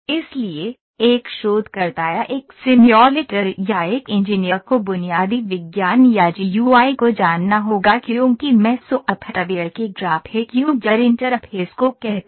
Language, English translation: Hindi, So, a researcher or a simulator or an engineer has to know the basic sciences or the GUI as I say graphic user interface of the software